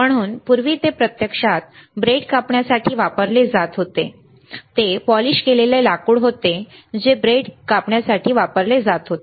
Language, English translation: Marathi, So, it was earlier used to actually cut the bread, it was a polished wood used to cut the bread, right